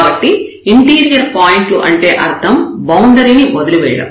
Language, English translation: Telugu, So, this interior points, so that means, leaving the boundary now